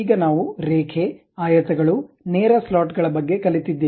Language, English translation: Kannada, Now, we have learned about line, rectangles, straight slots